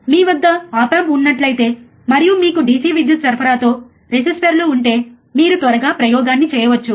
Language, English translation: Telugu, Where you have op amp and if you have the resistors with DC power supply, then you can perform the experiment quickly, right